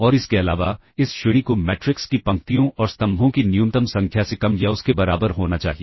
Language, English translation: Hindi, And further, this rank has to be less than or equal to the minimum of the number of rows and columns of the matrix all right